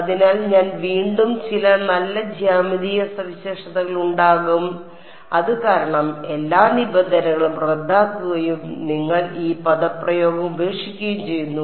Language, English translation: Malayalam, So, again I will there are some very nice geometric features because of which all terms cancel of and your left with this expression